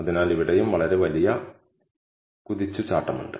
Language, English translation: Malayalam, So, there is a quite big leap here as well